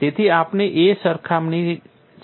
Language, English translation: Gujarati, So, there is definitely a comparison